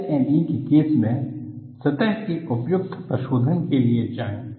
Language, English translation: Hindi, In the case of LME, go for a suitable surface treatment